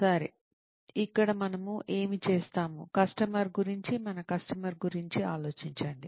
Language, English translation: Telugu, Okay, so here is what we will do, think about the customer, our customer